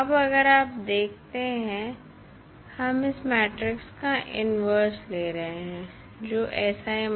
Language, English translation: Hindi, Now, if you see we are taking the inverse of this matrix that is sI minus A